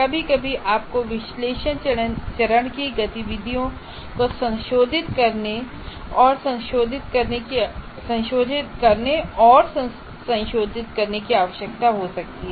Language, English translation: Hindi, And sometimes you may require to go back and modify the analysis, the activities of the analysis phase